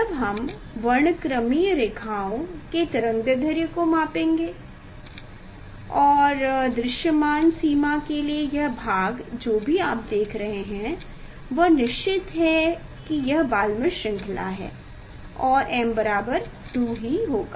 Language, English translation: Hindi, When we will measure the wavelength of the spectral lines and this part for visible range whatever you are seeing that is sure this is the Balmer series and m will be 2